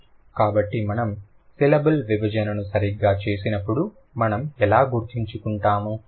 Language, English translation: Telugu, So, that is how we are going to remember when we do the syllable division